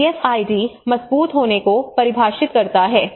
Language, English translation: Hindi, So DFID defines resilience